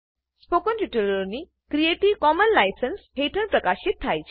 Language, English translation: Gujarati, Spoken tutorials are released under creative commons license